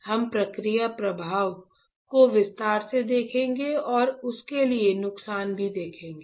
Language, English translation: Hindi, We will see the process flow in detail and the recipe also for that